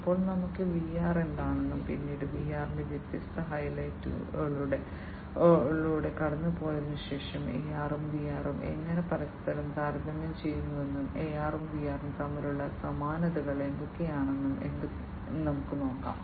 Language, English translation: Malayalam, Now, let us look at what is VR and later on, you know, after we have gone through the different highlights of VR, we will see that how AR and VR they compare between each other, what are the similarities between AR and VR and what are the differences